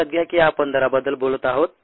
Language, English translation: Marathi, note that we are talking of rates